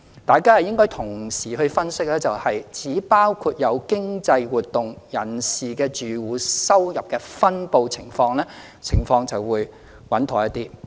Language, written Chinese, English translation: Cantonese, 大家應該同時分析包括有經濟活動人士的住戶收入的分布情況，情況就會穩妥一些。, It will be more proper for our analysis to also cover the income distribution of economically active households